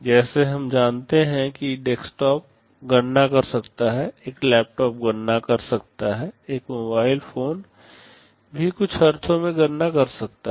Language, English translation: Hindi, Like we know desktop can compute, a laptop can compute, a mobile phone can also compute in some sense